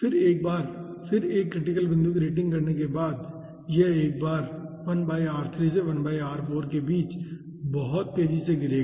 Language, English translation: Hindi, then, ah, after once again rating a critical point, it will once again fall very fast, which is nothing but between 1 by r3 to 1 by r4